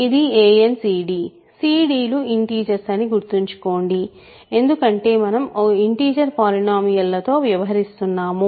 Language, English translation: Telugu, This is a n c d; c d remember are integers and because we are really dealing with integer polynomials